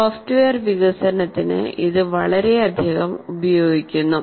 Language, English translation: Malayalam, This is very, very much used in software development